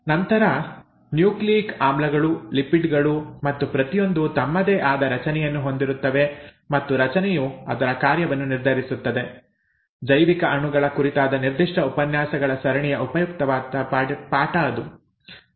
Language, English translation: Kannada, Then nucleic acids, lipids and each one has their own structure and the structure determines its function and so on and so forth; that was the major take home lesson from that particular set of lectures on biomolecules